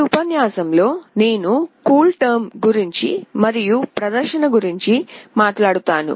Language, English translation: Telugu, In this lecture, I will talk about CoolTerm and of course, the demonstration